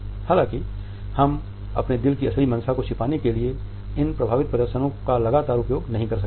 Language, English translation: Hindi, However, we cannot continuously use these affect displays to hide the true intention of our heart